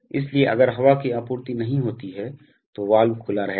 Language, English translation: Hindi, So, that if the air supply is not there, then the value will remain open